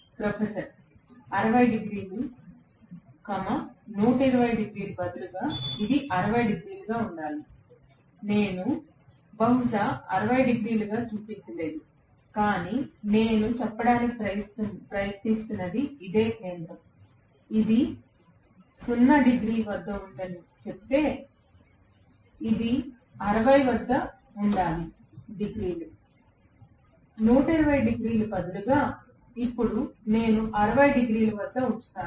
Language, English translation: Telugu, Professor: 60 degrees, instead of 120 this should be 60, I have not shown it probably as 60, but what I am trying to say is this is the center, if I say this is the at 0 degree, this should be at 60 degrees, instead of 120 degrees, now, I will put it at 60 degrees